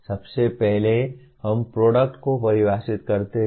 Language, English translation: Hindi, First we define the product